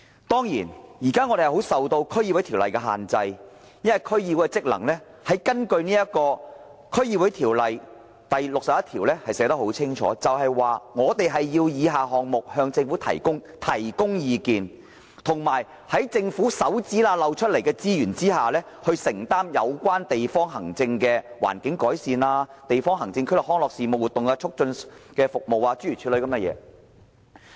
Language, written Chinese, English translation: Cantonese, 當然，現時區議員是受《區議會條例》限制的，因為區議會的職能已在《區議會條例》第61條清楚列明，指出我們要就若干項目向政府提供意見，並以政府指縫間漏出的撥款，承擔有關地方行政區內的環境改善事務、康樂活動促進事務等，諸如此類。, Certainly at present DC members are subject to the District Councils Ordinance DCO for functions of DCs are stipulated unequivocally in section 61 of DCO . It is stipulated that DCs are to advise the Government on certain matters and to undertake environmental improvement matters and promotion of recreational activities and so on within the district with the meagre funds seeped out of the tight fists of the Government